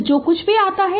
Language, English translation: Hindi, So, whatever it comes